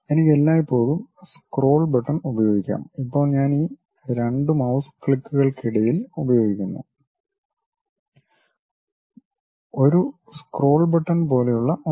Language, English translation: Malayalam, I can always use scroll button, right now I am using in between these 2 mouse clicks there is something like a scroll button